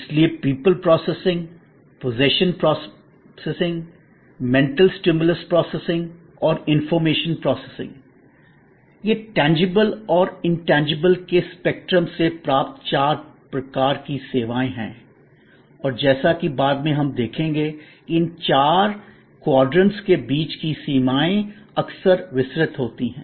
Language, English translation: Hindi, So, people processing, possession processing, mental stimulus processing and information processing are the four kinds of services derived from the spectrum of tangibility and intangibility and as later on we will see that these boundaries among these four quadrants are often diffused